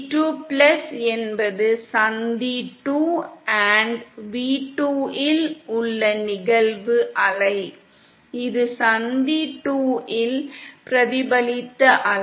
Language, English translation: Tamil, V2+ is the incident wave at junction 2 & v2 is the reflected wave at junction 2